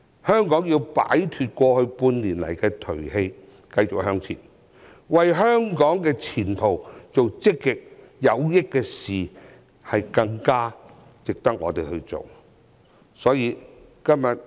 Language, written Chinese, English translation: Cantonese, 香港要擺脫過去半年的頹氣，繼續向前，為香港的前途做積極有益的事，這是更值得我們去做的事。, Hong Kong people must shake off the gloom over the past six months and move on . We should do positive things which are good for the future of Hong Kong which are more worthy of our effort